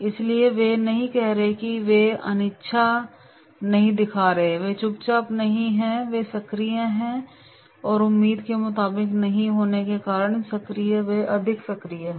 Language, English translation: Hindi, So therefore, they are not saying no, they are not showing reluctance, they are not silent, they are active and they are active as per the expectations not be on expectation, they are not overactive